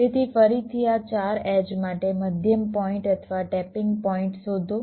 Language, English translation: Gujarati, so again find out the middle points or the tapping points for these four edges